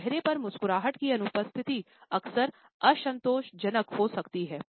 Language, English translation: Hindi, So, the absence of a smile on a face can often be disconcerting